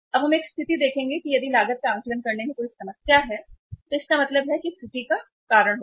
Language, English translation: Hindi, Now, we would see a situation that if there is a problem in assessing the cost it means that will cause the error